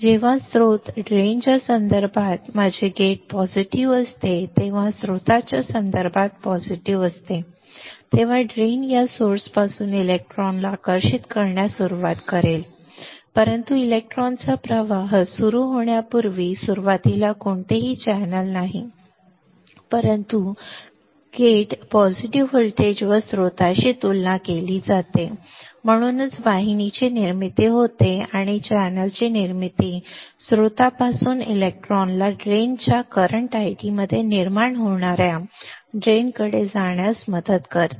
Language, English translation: Marathi, When my gate is positive with respect to source drain is positive with respect to source, the drain will start attracting the electron from this source, but before the formation of before the flow of electron can happen initially there is no channel, but because the gate is at positive voltage compare to the source that is why there is a formation of channel and this formation of channel will help the electron from the source to move towards the drain creating in a drain current I D